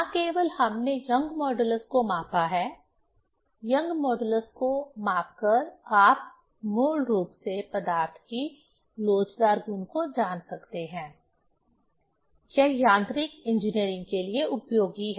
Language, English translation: Hindi, Not only we have measured the young modulus, measuring young modulus, you can basically come to know the elastic property of materials; that is useful for mechanical engineering